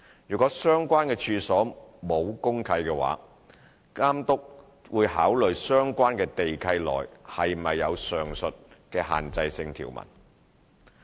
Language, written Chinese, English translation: Cantonese, 如果相關處所沒有公契，監督會考慮相關地契內是否有上述的限制性條文。, If the premises concerned are not regulated under any DMC then the Authority will take into account the land lease provisions of the premises concerned and see if there is any restrictive provision